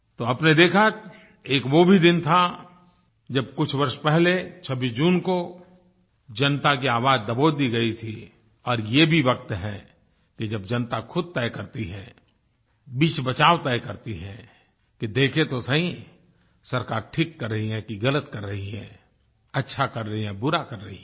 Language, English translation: Hindi, So you have seen that while on 26th June some years ago the voice of the people was stifled, now is the time, when the people make their decisions, they judge whether the government is doing the right thing or not, is performing well or poorly